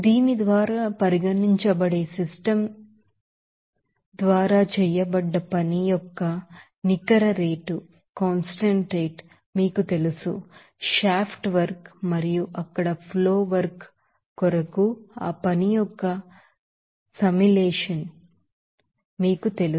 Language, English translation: Telugu, And for that, you know net rate of work done by the system that is regarded by this you know that summation of that work because to shaft work and also flow work there